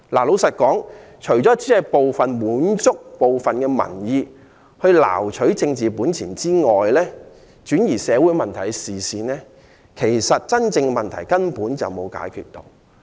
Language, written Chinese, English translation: Cantonese, 老實說，提出來除了滿足部分民意，撈取政治本錢，轉移社會問題的視線外，其實根本沒有解決真正的問題。, Honestly apart from satisfying certain public opinions earning political chips diverting attention from social issues this can resolve hardly any genuine problem